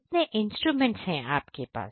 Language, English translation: Hindi, You have number of instruments that are there